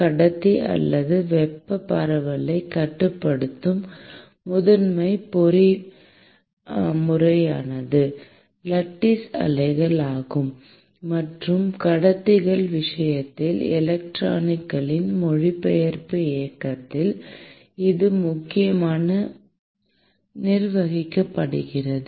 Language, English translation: Tamil, The primary mechanism that governs the thermal diffusion in a non conductor is the lattice waves; and in the case of conductors, it is essentially governed by the translational motion of electrons